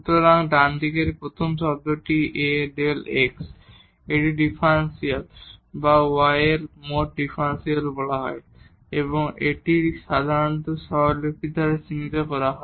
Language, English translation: Bengali, So, this first term on the right hand side A times delta x, this is called differential or the total differential of y and this is usually denoted by the notation dy